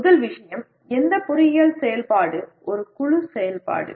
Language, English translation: Tamil, First thing is any engineering activity is a group activity